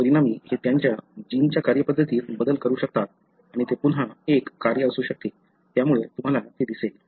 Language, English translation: Marathi, As a result, it can change the way they function, the gene functions and that could be again a function, so you will see that